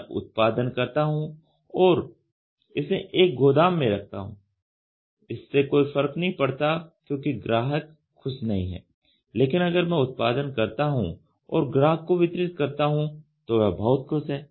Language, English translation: Hindi, I produce and keep it in a warehouse does not matter because the customer is not happy, if I produce and deliver it to a customer he is very happy